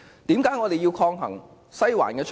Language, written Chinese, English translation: Cantonese, 為何我們要抗衡"西環"的操控？, Why do we have to counteract the manipulation of Western District?